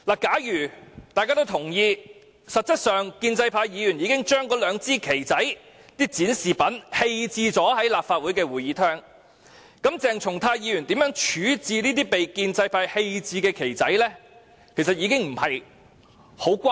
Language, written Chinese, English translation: Cantonese, 假如大家都同意建制派議員實質上已把那兩支小旗或展示品棄置在立法會會議廳，那麼鄭松泰議員怎樣處置有關物品已經沒甚麼關係。, If Members agree that Members from the pro - establishment camp had discarded the two little flags or the objects displayed in the Chamber of the Legislative Council it would not be of concern what Dr CHENG Chung - tai had done to those objects